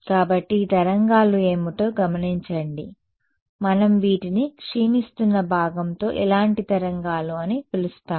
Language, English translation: Telugu, So, notice what are these waves what kind of waves we call these with a decaying part